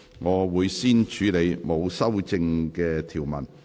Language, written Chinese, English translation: Cantonese, 我會先處理沒有修正案的條文。, I will first deal with the clauses with no amendment